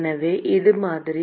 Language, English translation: Tamil, So, that is the model